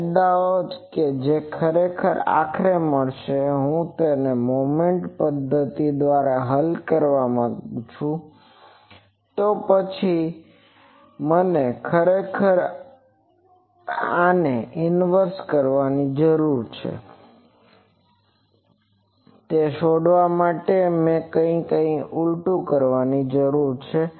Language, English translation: Gujarati, The advantages that actually the will finally, see if I want to solve it by Moment method, then I need to inverse actually this one to find this I need to inverse something